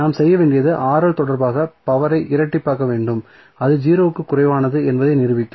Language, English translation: Tamil, So, what we have to do we have to double differentiate the power with respect to Rl and will prove that it is less than 0